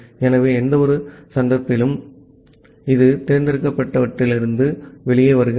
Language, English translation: Tamil, So, in any of the cases it comes out of the select